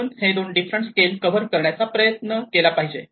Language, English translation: Marathi, So, these are two different scales should try to cover that